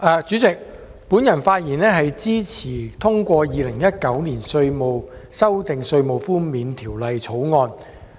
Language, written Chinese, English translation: Cantonese, 主席，我發言支持三讀通過《2019年稅務條例草案》。, President I speak in support of the Third Reading of the Inland Revenue Amendment Bill 2019 the Bill